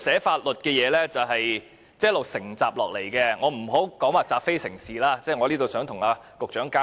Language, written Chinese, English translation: Cantonese, 法律草擬是一直承襲下來的，我並非說這是習非成是，我只想與局長交流。, Law drafting always inherits past practices . I am not saying that this is taking a wrongdoing to be correct . I just wish to exchange views with the Secretary